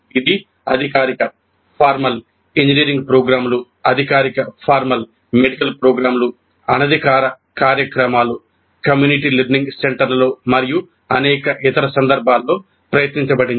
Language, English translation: Telugu, It has been tried in formal engineering programs, formal medical programs, informal programs, community learning centers and in a variety of other contexts also it has been tried